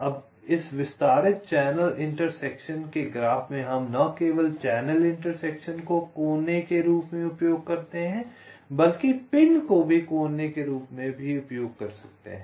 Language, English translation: Hindi, now, in this extended channel intersection graph, we use not only the channel intersections as vertices, but also the pins as vertices